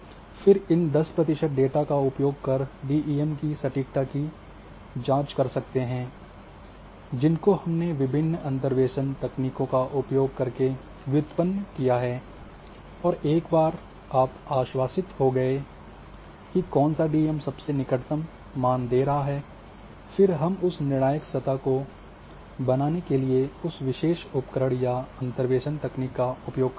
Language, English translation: Hindi, Then use these 10 percent data to check the accuracy of a DEM or different DEMs which you have derived from using different interpolation techniques and once you are assured that which one is giving the closest value use then hundred percent use that particular tool or interpolation techniques and create a final surface